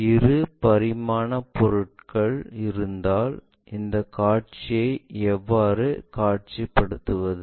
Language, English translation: Tamil, If two dimensional objects are present how to visualize these views